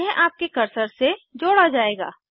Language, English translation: Hindi, It would be tied to your cursor